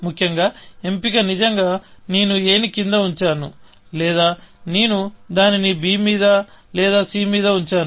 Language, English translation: Telugu, The choice is really, that either, I put a down, or I put it on b, or put it on c, or put it on d, essentially